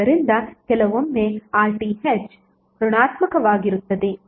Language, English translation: Kannada, So sometimes RTh would be negative